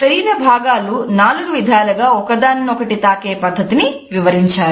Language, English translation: Telugu, He has illustrated four ways and different body parts can touch each other